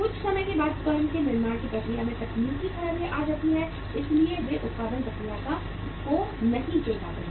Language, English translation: Hindi, Sometime there is a technical fault in the manufacturing process of the firm so they are not able to pick up with the production process